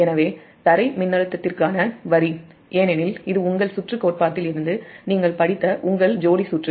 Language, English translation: Tamil, so the line to ground voltage, because this is a from your circuit theory, your couple circuit you have studied